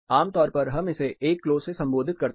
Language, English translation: Hindi, Typically, we can refer it as 1 Clo